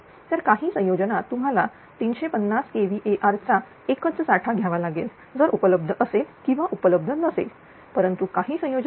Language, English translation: Marathi, So, some combination you have to take a single bank of 350 kilo hour may be available may not be available right, but some combinations